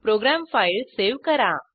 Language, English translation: Marathi, Save your program file